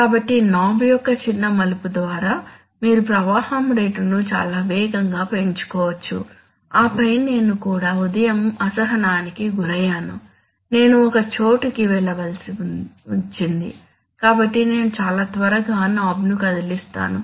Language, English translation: Telugu, So that you can, by a small turn of the knob, you can increase the flow rate very fast and then I was also impatient in the morning I had to go somewhere so I was very quickly moving the knob